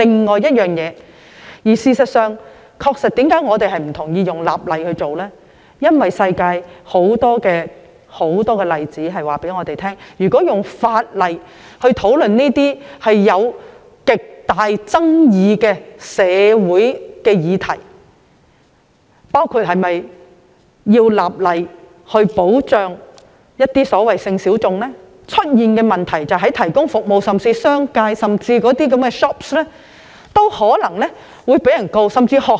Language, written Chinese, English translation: Cantonese, 我們反對以立法形式處理，是因為全世界有很多例子告訴我們，如果從法例的角度討論這些存在極大爭議的社會議題，包括是否立法保障一些所謂的性小眾，所引發的問題非常深遠，服務提供者，即是商界或店鋪皆有可能被控告。, We oppose the legislative approach because many examples around the world have revealed that if these highly controversial social issues are discussed from a legislative perspective including whether legislation should be enacted to protect the so - called sexual minorities problems with very far - reaching implications may arise . Service providers such as business operators or shops may be sued